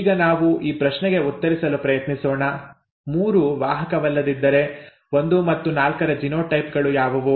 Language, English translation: Kannada, Now let us try to answer this question; if 3 is not a carrier what are the genotypes of 1 and 4